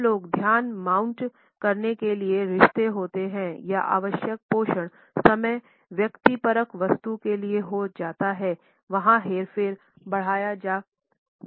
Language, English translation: Hindi, When people are relationships to mount attention or required nurture time becomes a subjective commodity there can be manipulated or stretched